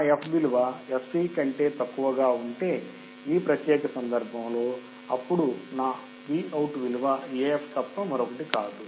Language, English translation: Telugu, If my f is less than fc, in this particular case, then my Vout will be nothing but AF